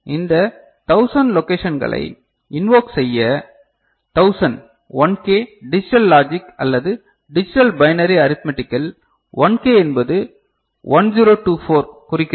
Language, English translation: Tamil, And to invoke this 1000 location so, 1000 1K we know in digital logic or digital discussion, binary arithmetic so, 1K stands for 1024